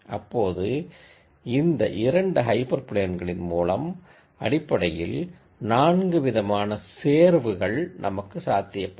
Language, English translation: Tamil, Now then I have these 2 hyper planes, then I have basically 4 combinations that are possible